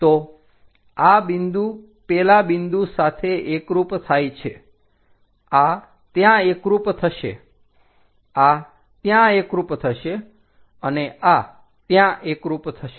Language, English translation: Gujarati, So, this point coincides with that point, this one coincides that this one coincides there, and this one coincides there